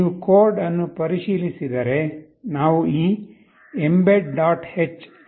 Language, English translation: Kannada, If you look into the code we have included this mbed